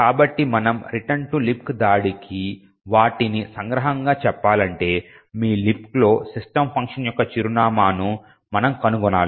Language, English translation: Telugu, So to summarize what we need to mount a return to LibC attack is as follows, we need to find the address of the system function in your LibC